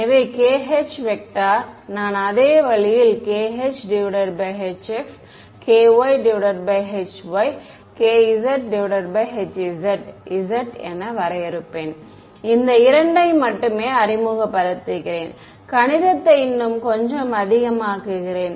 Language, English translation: Tamil, And k h, I will define as same way k x by h x, k y by h y, k z by h z, I am only introducing these two to make the math a little bit more